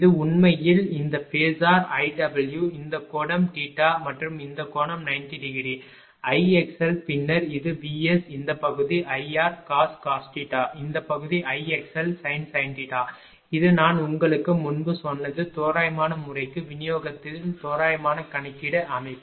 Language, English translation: Tamil, This is actually this this phasor is I r this angle is theta and this angle is 90 degree, I x l then this is the V S this portion is I r cos theta this portion is I x l sin theta this I have told you in that your what you call previously for approximate ah method approximate calculation in distribution system